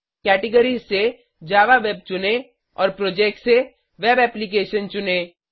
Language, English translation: Hindi, From the categories, choose Java Web and from the Projects choose Web Application